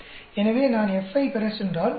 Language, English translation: Tamil, So, if I go on to get F 16